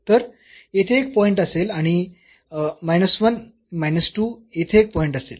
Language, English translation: Marathi, So, there will be a point here and minus 1 minus 2 there will be a point here